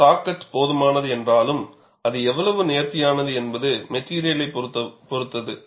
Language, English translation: Tamil, Though saw cut is sufficient, how finer it is, depends on the material